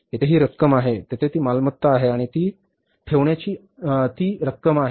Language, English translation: Marathi, Here it is the amount, here it is the assets and it is the amount